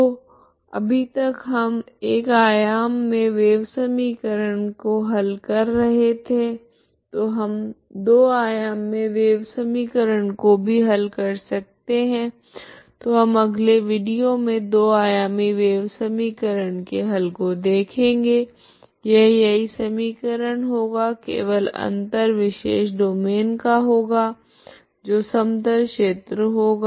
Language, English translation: Hindi, So far we are solving only wave equation in 1 dimensional, so we can also find the we can also solve 2 dimensional wave equation, okay so that we will see what is the 2 dimensional wave equation in the next video 2 dimensional wave equation it is actually same equation only thing is special domain will take the plane region